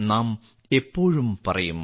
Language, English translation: Malayalam, We always say